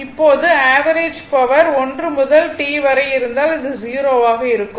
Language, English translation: Tamil, Now, the average power average power 1 to T if you then it will become 0